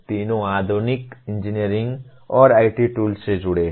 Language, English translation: Hindi, All the three are involved of modern engineering and IT tools